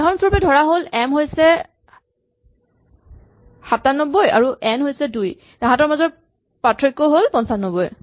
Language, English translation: Assamese, But, it is possible, for example if m is say 97 and n is 2 then the difference will be 95